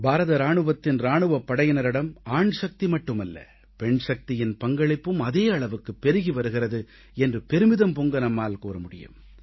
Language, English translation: Tamil, Indian can proudly claim that in the armed forces,our Army not only manpower but womanpower too is contributing equally